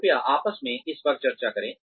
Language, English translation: Hindi, Please discuss this amongst yourselves